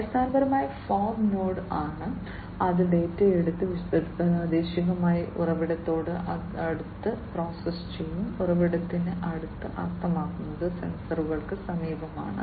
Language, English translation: Malayalam, Basically, the fog node basically is the one, which will take the data and process it locally close to the source, close to the source means close to the sensors